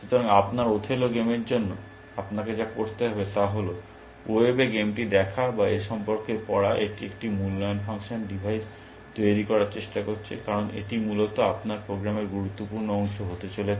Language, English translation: Bengali, So, what you will need to do, for your othello game is to, look at the game, on the web or read about, what it in try to device an evaluation function, because that is going to be critical part of your program essentially